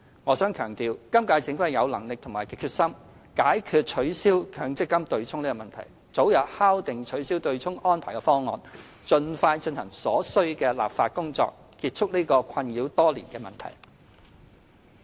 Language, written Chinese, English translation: Cantonese, 我想強調，今屆政府既有能力也有決心，解決取消強積金"對沖"的問題，早日敲定取消"對沖"安排的方案，盡快進行所需的立法工作，結束這個已困擾多年的問題。, I wish to stress that the current - term Government has both the ability and resolve to address the problem of abolishing the MPF offsetting mechanism finalize early a proposal for abolishing the offsetting arrangement and expeditiously conduct the necessary legislative exercise for a resolution to this perennial problem that has been plaguing us